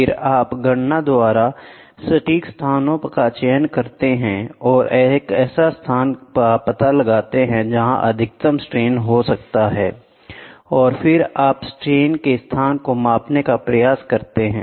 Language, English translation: Hindi, Then, you choose accurate locations by calculations and find out what is a where is a maximum stress are coming out and then you try to measure the location for the strain